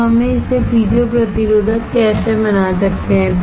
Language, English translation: Hindi, Now, how we can make it piezo resistive